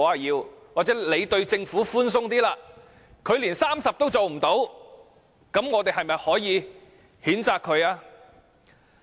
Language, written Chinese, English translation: Cantonese, 又或許，我們對政府寬鬆一點，但它連30都做不到，是否應予以譴責？, Even if an even more lenient standard is adopted should the Government be condemned if it even fails to provide 30 places?